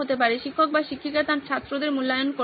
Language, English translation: Bengali, Teacher would want to evaluate her or his students